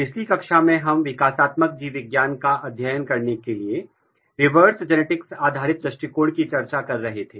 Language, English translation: Hindi, So, in last class we were discussing, reverse genetics based approaches, which we are being, which we are taking for, to study the developmental